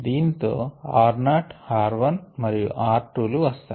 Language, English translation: Telugu, with that we can get r not, r one and r two